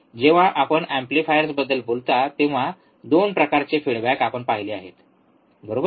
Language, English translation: Marathi, That when you talk about amplifier there are 2 types of feedback we have seen, right